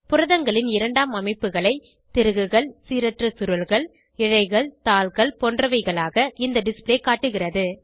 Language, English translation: Tamil, This display shows the secondary structure of protein as helices, random coils, strands, sheets etc